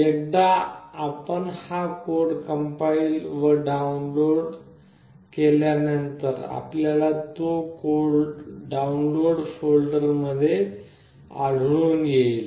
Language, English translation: Marathi, Once you compile the code this particular code gets downloaded, you can find this in your download folder